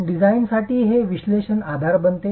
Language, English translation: Marathi, This becomes the analytical basis for design